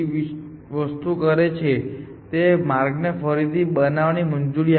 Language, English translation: Gujarati, So, the third thing it does is, it allows us to reconstruct the path